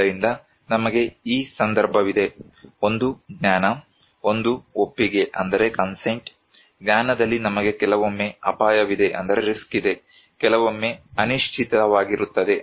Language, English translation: Kannada, So, we have this context one is the knowledge, one is the consent; in knowledge, we have risk sometimes certain, sometimes uncertain